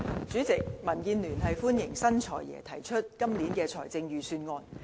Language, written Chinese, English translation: Cantonese, 主席，民主建港協進聯盟歡迎新"財爺"提出今年的財政預算案。, President the Democratic Alliance for the Betterment and Progress of Hong Kong DAB welcomes the Budget delivered by the new Financial Secretary this year